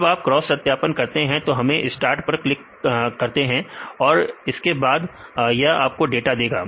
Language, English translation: Hindi, So, when you do the cross validation and start click; so we can this is the start button; if you click it will give you the data